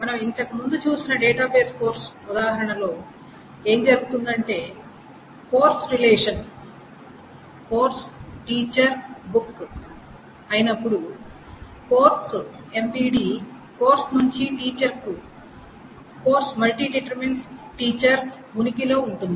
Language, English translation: Telugu, And in the database course that we saw, the example of the database course that we saw earlier, essentially what is happening is that the course, MVD, from course to teacher exists when the relation is this course, teacher and book